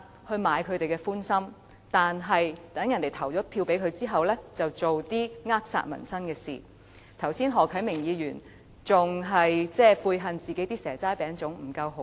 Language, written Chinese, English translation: Cantonese, 可是，待選民投了票給他們後，他們便會做一些扼殺民生的事情，而何啟明議員剛才還嫌自己提供的"蛇齋餅粽"不夠豪華。, Nonetheless after electors have cast their votes for these DC members they will do things to stifle peoples livelihood . Just now Mr HO Kai - ming even considered the seasonal delicacies he provided were less than luxury